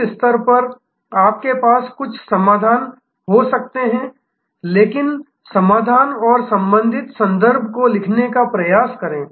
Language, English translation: Hindi, At this stage, you can have some number of solutions, but try to write the solutions and the corresponding contexts